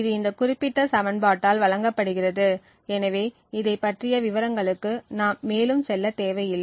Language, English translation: Tamil, So, this is given by this particular equation, so we will not go more into details about this